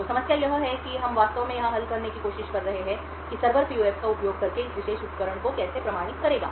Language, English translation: Hindi, So the problem that we are actually trying to solve here is that how would the server authenticate this particular device using the PUF